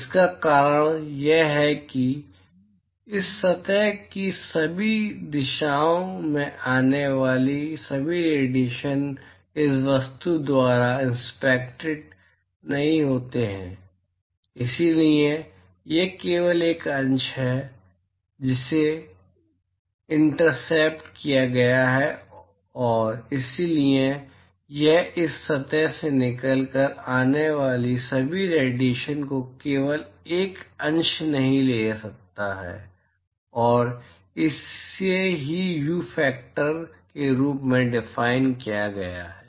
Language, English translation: Hindi, The reason is that not all radiation that comes in all directions of this surface is intercepted by this object; so it is only a fraction which is intercepted and therefore, it cannot take all the radiation that comes out of this surface can only be a fraction and that is what is defined as view factor all right